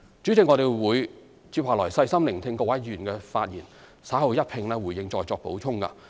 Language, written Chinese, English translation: Cantonese, 主席，我將細心聆聽各位議員的發言，稍後一併回應和再作補充。, President I will listen carefully to the speeches of Members and give a consolidated response and elaborate further later